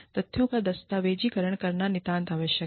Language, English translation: Hindi, Documentation of the facts, is absolutely necessary